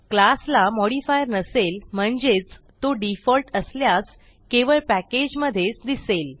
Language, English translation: Marathi, If a class has no modifier which is the default , it is visible only within its own package